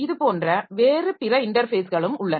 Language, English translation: Tamil, So that way we have got another type of interface